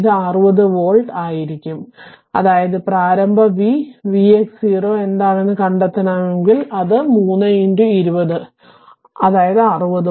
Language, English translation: Malayalam, So, it will be 60 volt right that mean if you want to find out what is the initial voltage v x 0 it will be 3 into 20 that is your 60 volt right